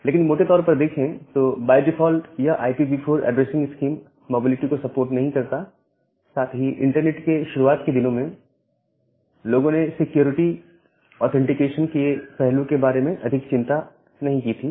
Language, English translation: Hindi, But overall, by default this IPv4 addressing scheme that does not support mobility and at the same time during the early days of the internet people was not bothered about security authentication this kind of aspect too much